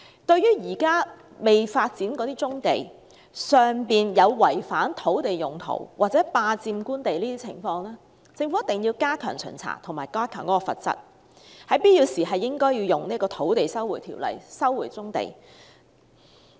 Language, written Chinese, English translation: Cantonese, 對於現時未發展的棕地有違反土地用途或霸佔官地的情況，政府必須加強巡查及提高罰則，必要時應該引用《收回土地條例》收回棕地。, As regards violations of land use or unlawful occupation of government land on undeveloped brownfield sites the Government must step up the inspection impose heavier penalties and when necessary recover the brownfield sites by invoking the Lands Resumption Ordinance